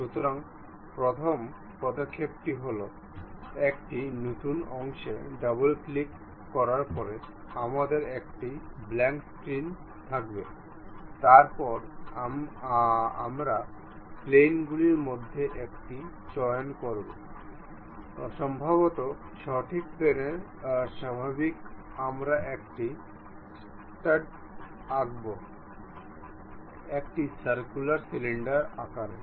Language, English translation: Bengali, So, the first step is after double clicking a new part, we will have a blank screen, then we pick a one of the plane perhaps right plane normal to right plane we will draw a stud is basically a circular cylinder we have